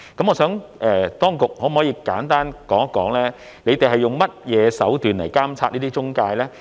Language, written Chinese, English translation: Cantonese, 我想請當局簡單說一說，他們是用甚麼手段來監察這些中介呢？, May I ask the authorities to talk briefly about the means by which they monitor these EAs?